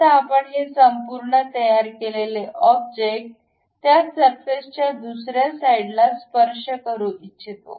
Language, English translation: Marathi, Now, we would like to have this entire constructed object touching the other side of that surface